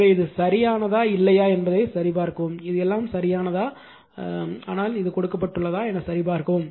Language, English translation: Tamil, So, you check whether it is correct or not this is everything is correct, but you check this is given to you right